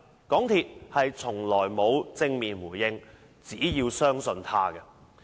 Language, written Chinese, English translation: Cantonese, 港鐵公司從來沒有正面回應，只叫市民相信它。, MTRCL has never responded directly but only asked the public to trust it